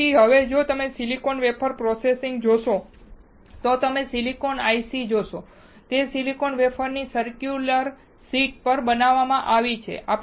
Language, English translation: Gujarati, So, now, if you see silicon wafer processing, you see silicon ICs, they are created on circular sheets of silicon wafers